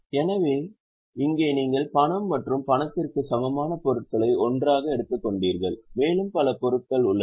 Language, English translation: Tamil, So, here you have got cash and cash equivalent items taken together and there are several other items